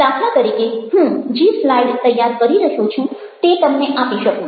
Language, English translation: Gujarati, for instance, the slides i am preparing may be share with you